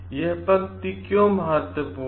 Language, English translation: Hindi, Why this line is important